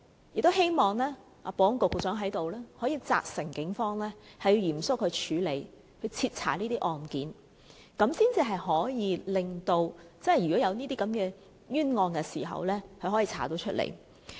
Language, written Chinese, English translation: Cantonese, 我也希望保安局局長在此責成警方嚴肅處理和徹查這些案件，如果真有這些冤案時，可以調查出來。, If these allegations are real I hope the Secretary for Security can hereby command the Police to vigorously deal with these cases and conduct thorough investigations to reveal the truth